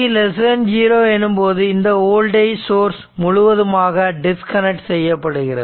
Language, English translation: Tamil, So, when it was t less than 0 this voltage source is completely disconnected, right